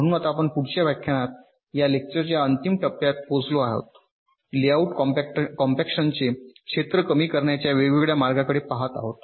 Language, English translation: Marathi, now, in the next lecture, as i have ah said, we shall be looking into different ways of reducing the area of the layout layout compaction